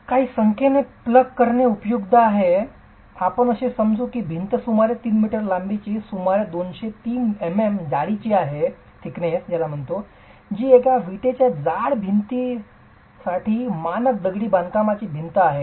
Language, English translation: Marathi, It's useful to plug in some numbers, let's say the wall is about 3 meters long and about 230 m m thick which is a standard masonry wall thickness for a one brick thick wall